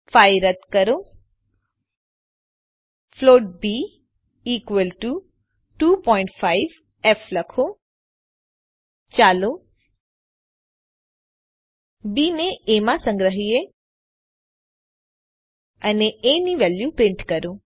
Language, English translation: Gujarati, Remove the 5 float b equal to 2.5f and let us store b in a and print the value of a